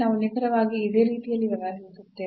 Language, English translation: Kannada, So, we will deal exactly in a similar fashion